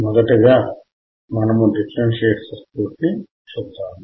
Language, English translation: Telugu, And let us see the differentiator circuit first